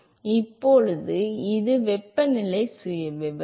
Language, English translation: Tamil, So, now what will be the temperature profile